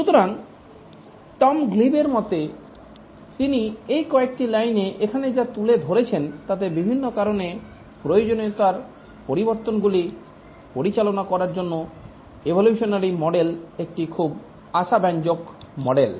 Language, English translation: Bengali, So, according to Tom Gleib, the evolutionary model which he captures here in this view lines is a very promising model to handle changes to the requirement due to various reasons